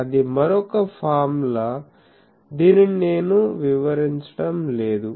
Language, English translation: Telugu, That is also another formula I would not go into that